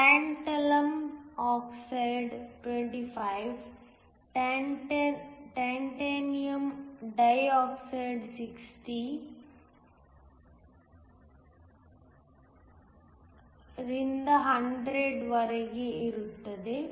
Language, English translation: Kannada, So, tantalum oxide is 25, titanium dioxide is anywhere from 60 to 100